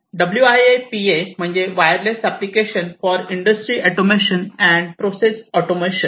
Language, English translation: Marathi, So, WIA PA stands for Wireless Applications for Industry Automation and Process Automation